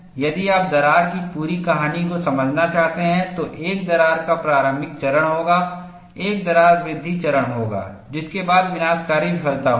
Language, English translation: Hindi, If you want to understand the complete story of the crack, there would be a crack initiation phase, there would be a crack growth phase, followed by catastrophic failure